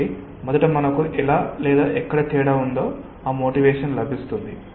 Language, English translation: Telugu, so first we are getting that motivation that how or where is the difference